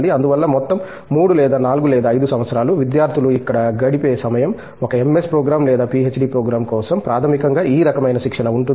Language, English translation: Telugu, So, that is why the whole 3 or 4 or 5 years, the time that is the students spends here, for either an MS program or a PhD program is basically towards this kind of training